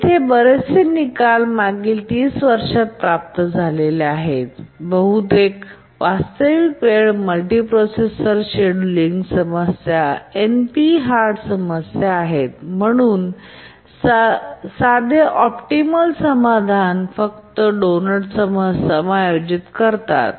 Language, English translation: Marathi, Most of the results here have been obtained in the last 30 years and most of the real time multiprocessor scheduling problems are NP hard problems and therefore simple optimal solutions don't exist